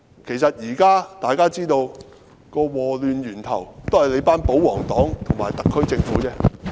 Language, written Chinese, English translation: Cantonese, 其實，大家現在都知道禍亂源頭是保皇黨和特區政府。, Actually all of us know that this disastrous chaos stems from the royalist camp and the SAR Government